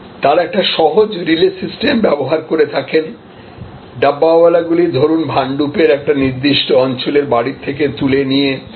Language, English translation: Bengali, So, they use a simple relay system, the Dabbas are picked up from homes in a particular areas of Bhandup and delivered to the railway station